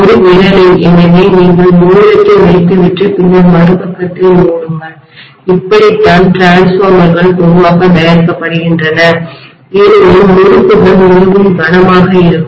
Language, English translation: Tamil, In a finger, so you put the ring and then close the other side, that is how generally the transformers are made because the windings are extremely heavy, that is the reason, got it